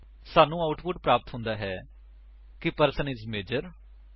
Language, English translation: Punjabi, We get the output as: The person is Major